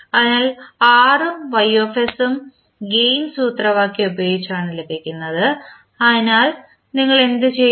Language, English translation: Malayalam, So, R and Ys is obtained by using the gain formula so what we will do